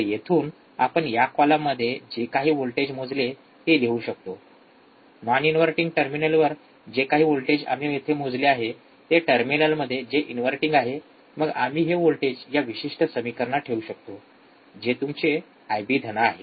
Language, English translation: Marathi, So, from here we can write whatever the voltage we measured in this column, at non inverting terminal whatever voltage we have measured here in the in terminal which is inverting, then we can put this voltage in this particular equation which is your I B plus